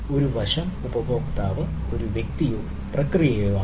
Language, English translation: Malayalam, right, the customer can be a user or a process, right